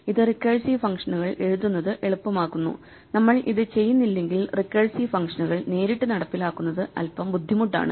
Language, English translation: Malayalam, So, this makes it easier to write recursive functions and if we do not do this then it is a bit harder to directly implement recursive functions